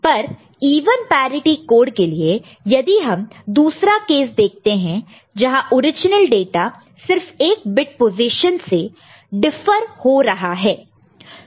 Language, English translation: Hindi, But for even parity code so, if you look at another case say where the original data is differing only in 1 bit position